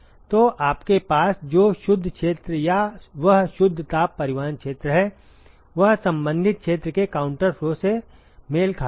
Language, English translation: Hindi, So, the net area or that net heat transport area that you have is matched with the counter flow the corresponding area